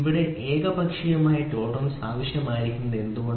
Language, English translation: Malayalam, So here why is the need for unilateral tolerance